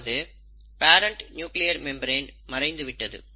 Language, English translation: Tamil, The parent nuclear membrane has disappeared